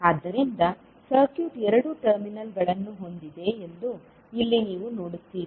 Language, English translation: Kannada, So here you will see that circuit is having two terminals